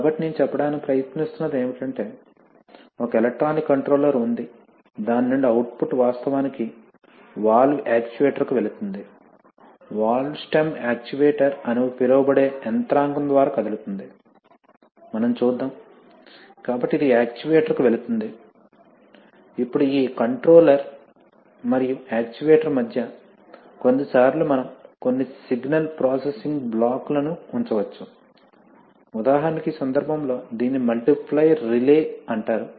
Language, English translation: Telugu, So what I am trying to say is that, from the, you know there is, there is an electronic controller from which output is actually going to the valve actuator, the valve stem is being moved by some mechanism called actuator, as we shall see, so this is going to the actuator, now between this controller and the actuator, sometimes we can put some signal processing blocks which are, for example in this case this is a, this is called a multiplier relay, right